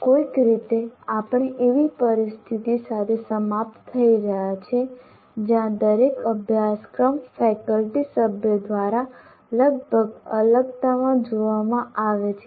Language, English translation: Gujarati, Somehow we have been ending up with this situation where each course is looked at by a faculty member almost in isolation